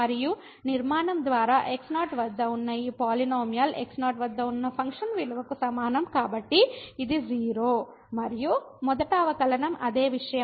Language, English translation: Telugu, and by construction this polynomial at is equal to the function value at so this is 0, and the first derivative the same thing